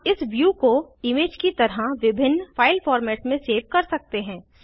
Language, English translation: Hindi, We can save this view as an image in various file formats